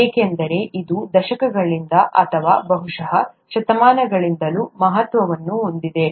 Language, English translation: Kannada, Because it has significance over decades or probably even centuries